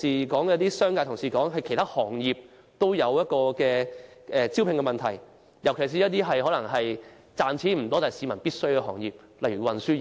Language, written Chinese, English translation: Cantonese, 部分商界同事也曾經指出，其他行業同樣出現招聘問題，尤其是一些不太賺錢但市民需要的行業，例如運輸業。, Some Honourable colleagues from the business sector have also pointed out that other trades and industries are also facing recruitment problems especially those which are needed by the public but not at all lucrative such as the transport industry